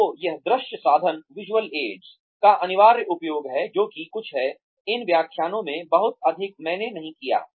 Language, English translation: Hindi, So, that is essential use of visual aids, which is something, I have not done, very much in these lectures